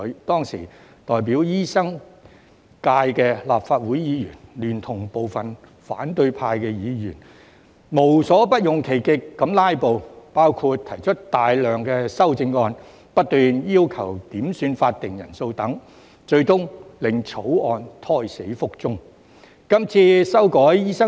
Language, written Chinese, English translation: Cantonese, 當時代表醫生界的立法會議員，聯同部分反對派議員，無所不用其極地"拉布"，包括提出大量修正案，不斷要求點算法定人數等，最終令該條例草案胎死腹中。, At that time Legislative Council Members representing the medical profession together with some opposition Members went to great lengths to filibuster such as proposing numerous amendments and repeatedly requesting headcounts; thus that bill was eventually aborted